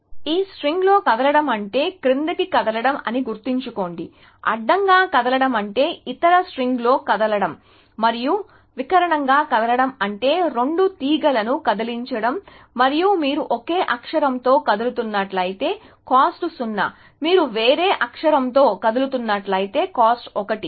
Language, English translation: Telugu, So, remember that moving down means, moving in this string; moving horizontally means moving in the other string and moving diagonally means moving on both strings and if you are moving on the same character then cost is 0, if you are moving on a different character, cost is 1